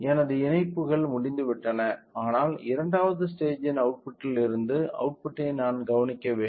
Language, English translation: Tamil, So, my connections are done, but I have to observe the output from the output of the second stage